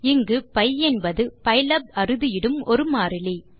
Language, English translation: Tamil, Here pi is a constant defined by pylab